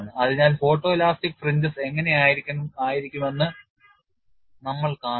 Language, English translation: Malayalam, So, we would see how photo elastic fringes will look like